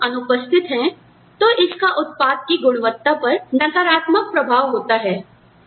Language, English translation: Hindi, If people are absent, then it has a negative impact, on the quality of the output